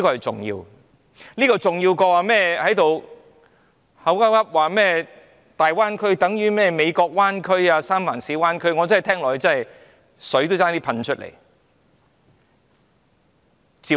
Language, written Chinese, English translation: Cantonese, 這點遠較那些指"大灣區等於美國灣區、三藩市灣區"的言論來得重要。, Indeed this matters so much more than those remarks such as the Great Bay Area is equivalent to the San Francisco Bay Area